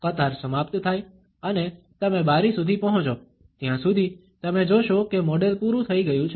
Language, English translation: Gujarati, By the time the queue ends and you reach the window, you find that the model has been exhausted